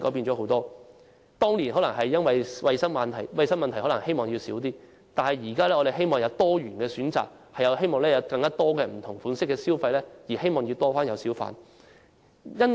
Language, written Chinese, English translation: Cantonese, 政府當年可能因衞生問題而減少小販的數目，但我們現在希望有多元選擇，提供更多不同類型的消費模式，因此希望增加小販的數目。, At that time the Government might wish to reduce the number of hawkers due to hygiene considerations . Now we hope the number of hawkers can be increased because we would like to have diversified choices and a greater variety of spending patterns